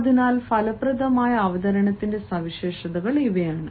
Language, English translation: Malayalam, so these are the features of effective presentation